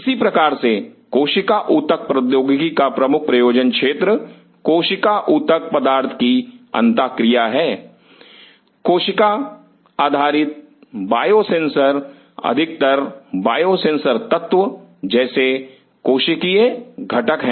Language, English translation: Hindi, Similarly cell tissue engineering the major thrust area is cell tissue material interaction, cell based biosensors is mostly cellular component as biosensor element